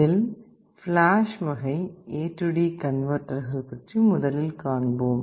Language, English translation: Tamil, Let us see how flash AD converter looks like and how it works